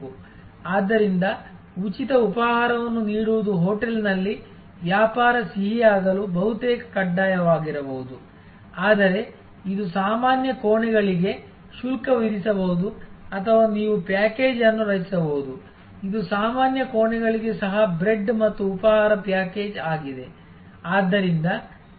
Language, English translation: Kannada, So, the giving a free breakfast make may be almost mandatory for a business sweet in a hotel, but it may be chargeable for normal rooms or you can create a package, which is bread and breakfast package even for normal rooms